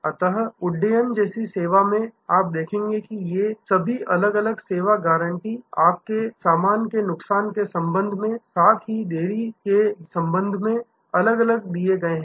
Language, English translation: Hindi, So, in a service like airlines, you will see that all these different service guarantees are given separately with respect to your baggage loss ,with respect to in ordinate delays